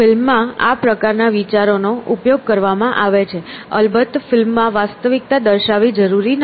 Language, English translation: Gujarati, So, this kind of an idea has been exploited in movies; of course, movies do not necessarily depict reality